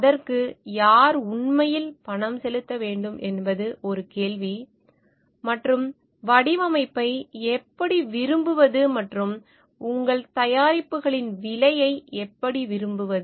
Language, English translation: Tamil, Then who should actually pay for it is a question and of how to like design and how to like pricing of your products